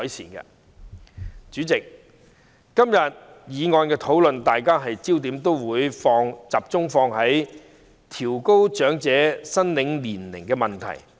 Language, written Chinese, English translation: Cantonese, 代理主席，在今天的議案辯論，大家都會聚焦調高長者綜援合資格年齡的問題。, Deputy President in the motion debate today we have focused on the issue of raising the eligible age for elderly CSSA